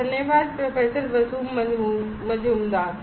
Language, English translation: Hindi, Thank you, Professor Basu Majumder